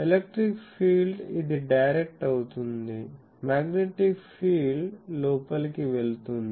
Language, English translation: Telugu, The electric field is this directed; electric field is this directed, the magnetic field is going inside